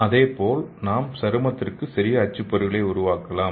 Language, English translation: Tamil, So similarly we can make the portable printer for skin okay